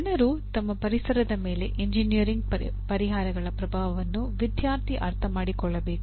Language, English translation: Kannada, And student should understand the impact of engineering solutions on people and environment